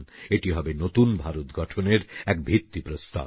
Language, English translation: Bengali, It will prove to be a milestone for New India